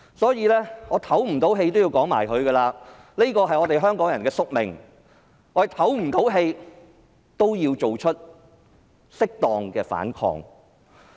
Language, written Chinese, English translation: Cantonese, 即使我透不過氣也要說下去，這是我們香港人的宿命，但我也要作出適當的反抗。, I have to continue with my speech even I am feeling suffocated . Despite the predestination of Hong Kong people we still have to resist where appropriate